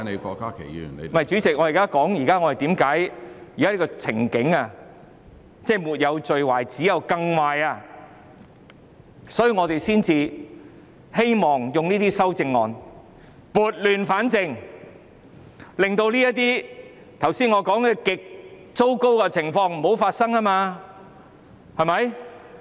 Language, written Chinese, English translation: Cantonese, 不是，主席，我正在說現在的情景沒有最壞，只有更壞。所以，我們希望用這些修正案撥亂反正，令我剛才說這些極糟糕的情況不要發生。, No Chairman I am saying that the current situation can only get worse so we hope these amendments can rectify the mistakes and avoid the terrible situations mentioned just now